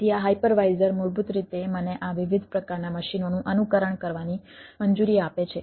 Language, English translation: Gujarati, so this hyper visor basically allows me to emulate this different type of machines